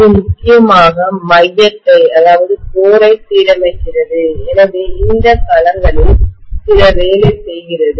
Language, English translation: Tamil, That is essentially aligning the core and hence does some work on these domains